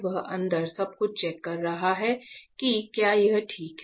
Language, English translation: Hindi, So, he is checking everything inside whether it is fine